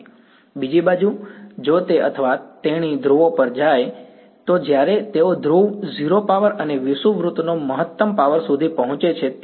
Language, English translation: Gujarati, On the other hand if he or she went to the poles, what would they find that when they reach the pole 0 power and maximum power on the equator right